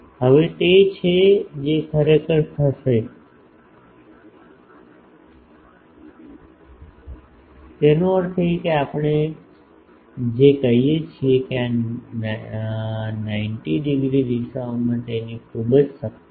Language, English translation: Gujarati, Now, that is what will happen that actually; that means, what we are saying that it is having very high power in this 90 degree directions